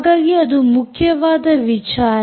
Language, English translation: Kannada, so that is what is important